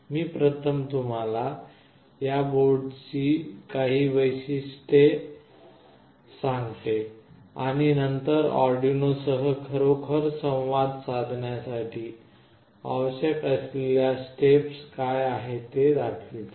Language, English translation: Marathi, I will just show you some of the features of this board first and then what are the steps that are required to actually interface with Arduino